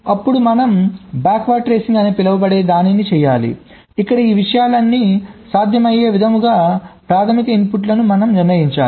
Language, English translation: Telugu, then we need to do something called a backward tracing, where we have to determine the primary inputs which makes all this things possible